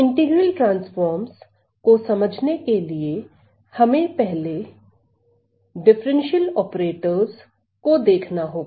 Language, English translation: Hindi, So, to understand the idea of integral transforms, we need to look at the differential operators first